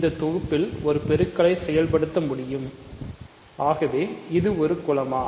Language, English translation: Tamil, Now, I want to introduce a multiplication on this set